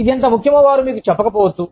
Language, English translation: Telugu, They may not tell you, how important it is